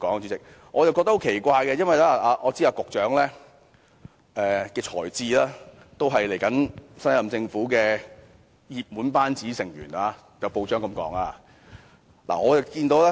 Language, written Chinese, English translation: Cantonese, 主席，我覺得很奇怪，因為我知道以局長的才智，他也是候任政府的熱門班子成員，也有報章這樣報道。, Chairman considering his intelligence and ability I was very surprised to hear his response . He is one of the likely members in the team of the next Government as already pointed out in some newspapers reports